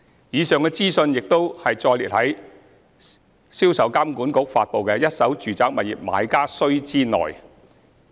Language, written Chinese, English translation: Cantonese, 以上資訊亦已載列在銷售監管局發布的《一手住宅物業買家須知》內。, Such information is included in the Notes to Purchasers of First - hand Residential Properties published by SRPA